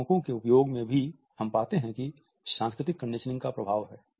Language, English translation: Hindi, In the use of regulators also we find that the impact of cultural conditioning is there